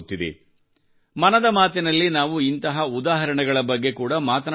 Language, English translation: Kannada, In 'Mann Ki Baat', we often discuss such examples